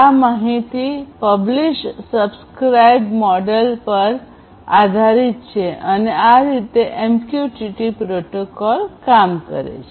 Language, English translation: Gujarati, So, this is overall based on publish/subscribe model and this is how this MQTT protocol essentially works